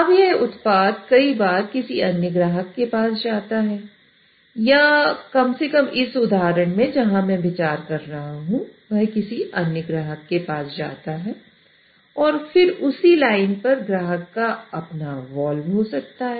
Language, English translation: Hindi, Now this product actually goes to another customer many times or at least the example where I'm considering it goes to another customer many times or at least the example where I am considering it goes to another customer and then the customer may have his own valve on the same line